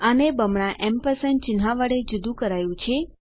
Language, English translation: Gujarati, Separated these with a double ampersand sign